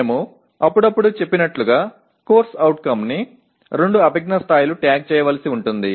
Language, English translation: Telugu, As we said occasionally a CO may have to be tagged by two cognitive levels